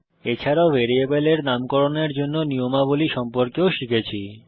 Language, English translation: Bengali, And We have also learnt the rules for naming a variable